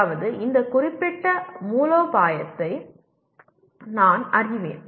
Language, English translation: Tamil, That means I am aware of this particular strategy